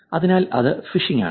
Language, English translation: Malayalam, So that is phishing